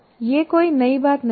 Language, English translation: Hindi, This is not anything new